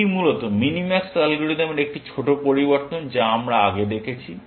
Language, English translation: Bengali, It is basically, a small variation of the minimax algorithm that we have seen